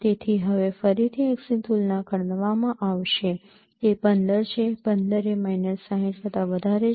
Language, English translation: Gujarati, So now again the x will be compared it is 15 15 is more than minus 60